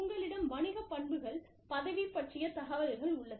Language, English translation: Tamil, You have, business characteristics, role information